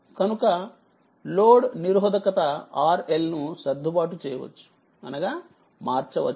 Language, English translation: Telugu, So, we assume that load resistance R L is adjustable that is variable right